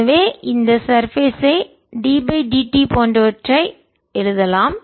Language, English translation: Tamil, so we can write this thing like d, d, t, this surface